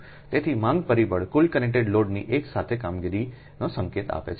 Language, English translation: Gujarati, so demand factor gives an indication of the simultaneous operation of the total connected load